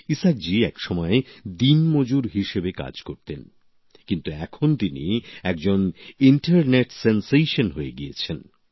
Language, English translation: Bengali, Isaak ji once used to work as a daily wager but now he has become an internet sensation